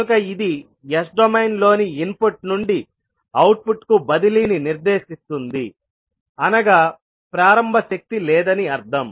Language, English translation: Telugu, It specifies the transfer from input to the output in as domain as you mean no initial energy